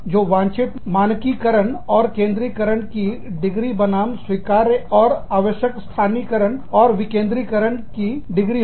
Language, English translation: Hindi, So, the degree of desired standardization & centralization, versus, degree of acceptable and or necessary localization and decentralization